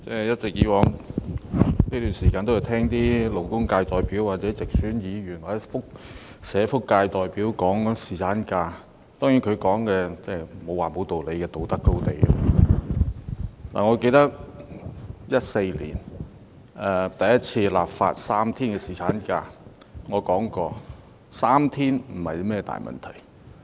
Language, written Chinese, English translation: Cantonese, 主席，我在這段時間一直在聆聽勞工界代表、直選議員、社福界代表談侍產假，當然他們的發言不能說沒道理，因為他們都是站在道德高地。, President I have listened to the speeches of labour representatives directly - elected Members and also representatives of the social welfare sector on paternity leave all this time . Certainly I cannot say that their speeches are pointless because they have taken the moral high ground